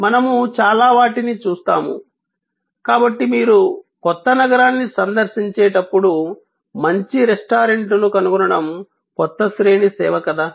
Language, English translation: Telugu, We will see so many of them, so whether it is a new range of services to find a good restaurant when you are visiting a new city